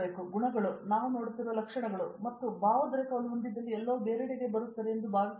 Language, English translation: Kannada, These are qualities, attributes which we look for and once you have the passion I think everything else falls in place